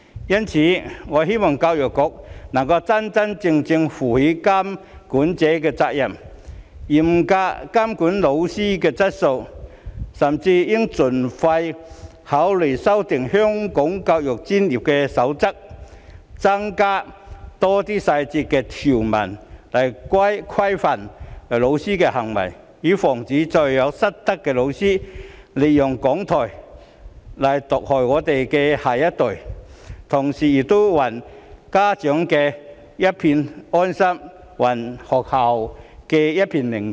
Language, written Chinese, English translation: Cantonese, 因此，我希望教育局能夠真真正正負起監管者的責任，嚴格監管教師的質素，甚至應盡快考慮修訂《香港教育專業守則》，加入更多詳細條文規範教師的行為，以防再有失德的教師利用講台毒害我們的下一代，同時也還家長一份安心、還學校一片寧靜。, Therefore I hope the Education Bureau can truly fulfil its responsibilities as a regulator to strictly monitor the quality of teachers and should even promptly consider amending the Code for the Education Profession of Hong Kong by adding more detailed provisions to regulate the conduct of teachers so as to prevent other teachers with misconduct from using their podium to poison our next generation and at the same time give peace of mind back to parents and restore tranquillity in schools